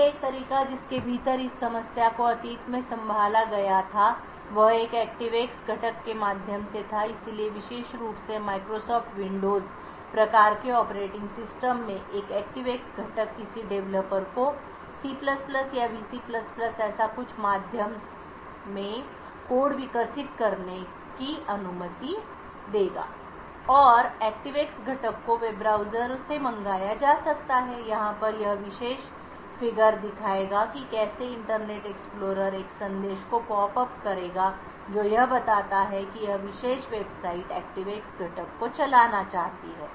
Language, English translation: Hindi, handled in the past was by means of an ActiveX component, so an ActiveX component especially in a Microsoft Windows type of operating systems would permit a developer to develop code in C++ or which VC++ or something like that and the ActiveX component could be invoked from the web browser, this particular figure over here would show how the Internet Explorer would pop up a message stating that this particular website wants to run an ActiveX component